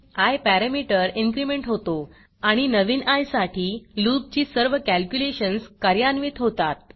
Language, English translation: Marathi, The parameter i is incremented and all the calculations of the loop are executed for the new i